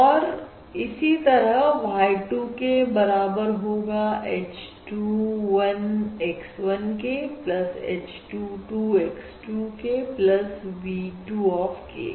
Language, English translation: Hindi, Similarly, y 2 k equals h 2 1 x 1 k plus h 2, 2 x 2 k plus v 2 of k